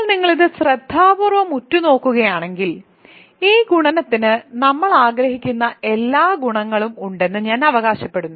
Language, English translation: Malayalam, So, now, if you just stare at this carefully, I claim that this multiplication has all the properties that we want